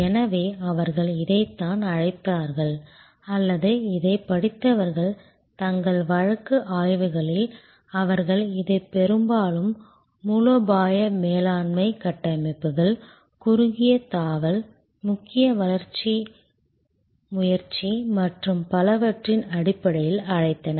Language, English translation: Tamil, So, this is they have called it or rather the people who are studied this in their case studies, they have often called this in terms of the strategic management frameworks, the short jump, the major growth initiative and so on